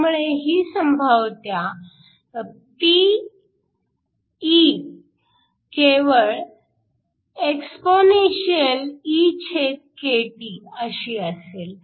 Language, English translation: Marathi, So, that P is just exp